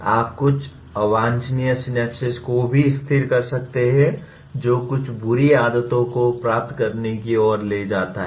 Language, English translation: Hindi, You may also stabilize some undesirable synapses which leads to acquiring some bad habits